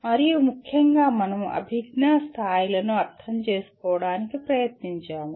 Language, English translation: Telugu, And particularly we tried to understand the cognitive levels